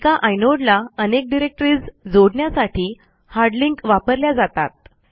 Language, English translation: Marathi, Hard links are to associate multiple directory entries with a single inode